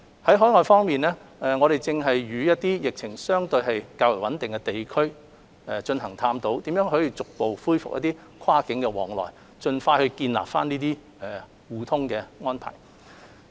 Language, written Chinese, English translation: Cantonese, 在海外方面，我們正與一些疫情相對較為穩定的地區探討如何逐步恢復跨境往來，盡快建立這些互通的安排。, For overseas we are now exploring with places which have stabilized their epidemic situation on how to resume cross - border travel in a gradual manner and establish the mutual arrangement as soon as possible